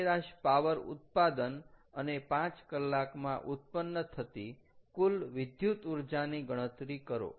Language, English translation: Gujarati, calculate the average power output and the total electrical energy produced in five hours